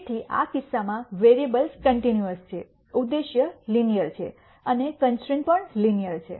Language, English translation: Gujarati, So, in this case the variables are continuous, the objective is linear and the constraints are also linear